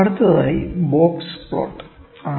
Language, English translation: Malayalam, Next, plot is Box Plot